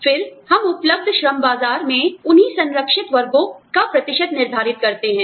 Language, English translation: Hindi, Then, we determine the percentage of those, same protected classes, in the available labor market